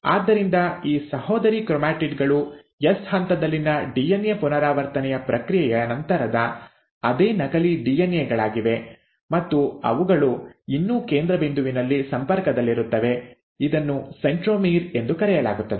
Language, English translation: Kannada, So, these sister chromatids are nothing but the same duplicated DNA after the process of DNA replication in the S phase, and they still remain connected at a central point which is called as the centromere